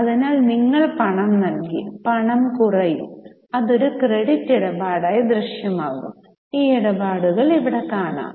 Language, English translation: Malayalam, So, you have paid cash, cash will go down, it will appear as a credit transaction